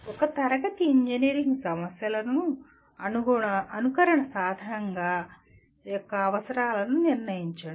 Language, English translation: Telugu, Determine the requirements of a simulation tool for a class of engineering problems